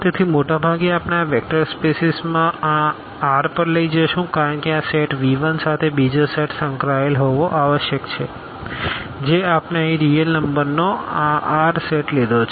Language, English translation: Gujarati, So, most of the time we will take this vector space over this R because with this set V 1 another set must be associated which we have taken here this R set of real numbers